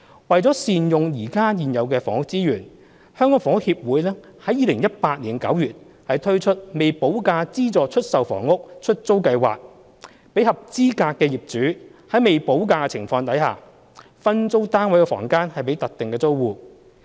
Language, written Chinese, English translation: Cantonese, 為善用現有房屋資源，香港房屋協會於2018年9月推出"未補價資助出售房屋——出租計劃"，讓合資格的業主在未補價的情況下，分租單位房間予特定租戶。, To make better use of existing housing resources the Hong Kong Housing Society HKHS launced the Letting Scheme for Subsidised Sale Developments with Premium Unpaid in September 2018 allowing eligible flat owners to sublet their rooms to targeted tenants without paying premium